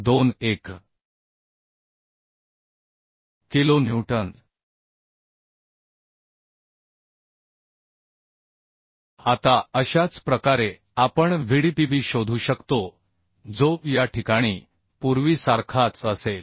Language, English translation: Marathi, 21 kilonewton Now similarly we can find out Vdpb that will be same as earlier in this case we can find out 2